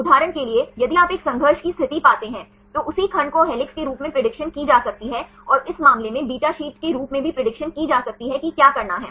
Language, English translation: Hindi, For example, if you find a conflict situation the same segment can be predicted as helix and can also be predicted as beta sheet in this case what to do